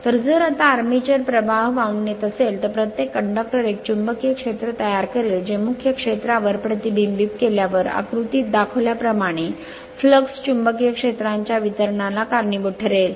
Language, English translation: Marathi, So, if so now, if the armature carries current each of the conductors will produce a magnetic field which when superimposed on the main field causes a distribution of magnet magnetic lines of flux as shown in your figure one